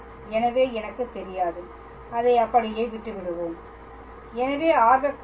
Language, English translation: Tamil, So, I do not know; let us leave it like that